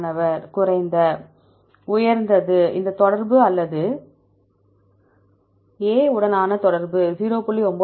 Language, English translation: Tamil, lower Higher; if this correlation or the correlation with A is 0